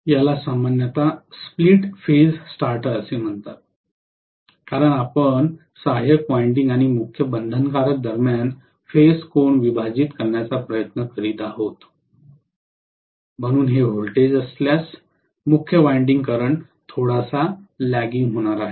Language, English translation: Marathi, This is generally called as split phase starter because you are essentially trying to split the phase angle between auxiliary winding and main binding, so I am going to have if this is the voltage, main winding current is going to be lagging quite a bit